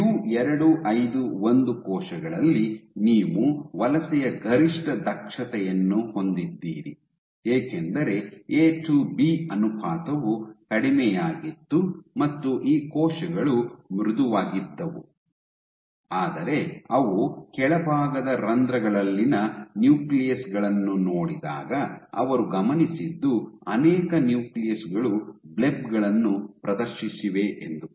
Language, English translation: Kannada, So, in U251 cells you have the maximum efficiency of migration because the A to B ratio was low and these cells were soft, but what they also observed was when they looked at the nuclei underneath in the bottom pores many of the nuclei